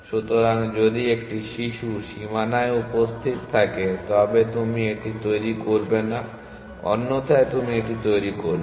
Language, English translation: Bengali, So, if a child is present in the boundary, then you do not generate it, otherwise you generate it